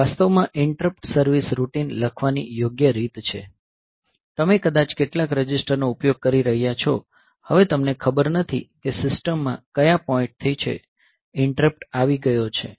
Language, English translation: Gujarati, So, this is actually this is the proper way of writing interrupt service routine because in interrupt service routine; so you may be using some registers now you do not know from which point in the system; the interrupt has come